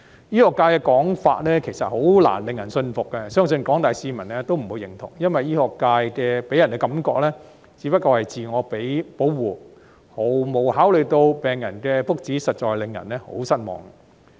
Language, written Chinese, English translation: Cantonese, 醫學界的說法，其實難以令人信服，相信廣大市民也不會認同，因為醫學界予人的感覺，只不過是自我保護，毫無考慮到病人的福祉，實在令人很失望。, The medical sectors argument is in fact hardly convincing . I think the general public will not agree to it either because the medical sector gives people an impression that they are overly shielding themselves without any consideration to patients welfare . This is indeed disappointing